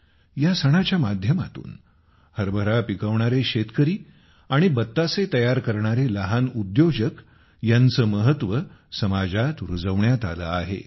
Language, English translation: Marathi, Through this, the importance of farmers who grow gram and small entrepreneurs making batashas has been established in the society